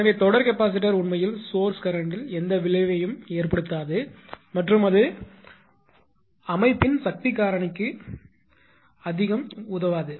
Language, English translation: Tamil, So, series capacitor actually has no effect on source current right and it does not improve much to the power factor